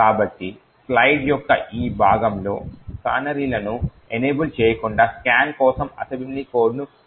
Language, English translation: Telugu, So, over here on this part of the slide shows the assembly code for scan without canaries enabled